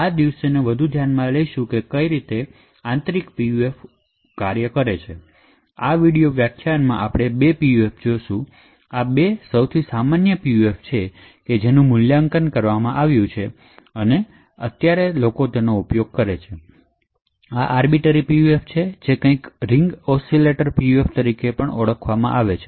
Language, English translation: Gujarati, So, in this video lecture we will actually look at two PUFs; these are the 2 most common PUFs which are evaluated and used these days, So, this is the Arbiter PUF and something known as the Ring Oscillator PUF